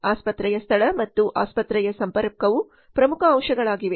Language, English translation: Kannada, The location of the hospital and connectivity of the hospital are important elements